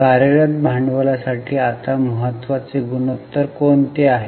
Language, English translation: Marathi, Now which is an important ratio for working capital